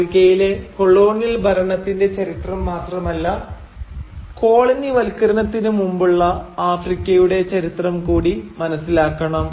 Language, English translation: Malayalam, And not only the history of colonial rule in Africa but also the history of precolonial Africa